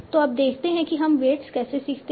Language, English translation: Hindi, So now let us see how do we learn the weights